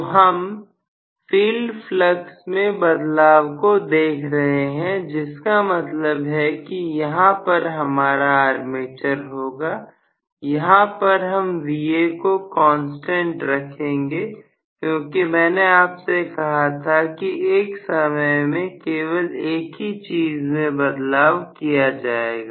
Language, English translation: Hindi, So we are looking at field flux changing which means I am going to have here the armature I am going to keep very clearly Va as a constant because I told you only one thing is changed at a time